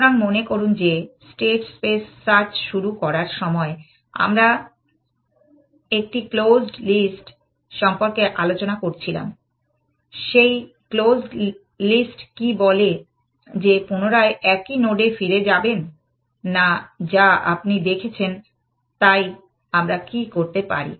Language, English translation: Bengali, So, remember we had this idea for a close list, when we started doing the states space search and what close list said that, do not go back to the same node again that you have seen, so what we could do